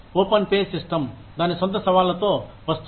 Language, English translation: Telugu, Open pay system comes with its own challenges